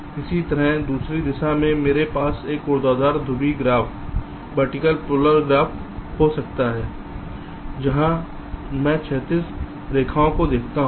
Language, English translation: Hindi, similarly, in the other direction, i can have a vertical polar graph where i look at the horizontal lines